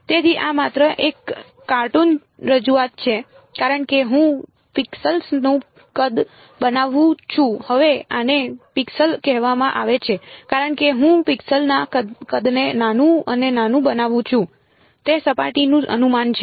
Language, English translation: Gujarati, So, this is just a cartoon representation as I make the size of the pixels now these are called pixels as I make the size of the pixel smaller and smaller better is the approximation of the surface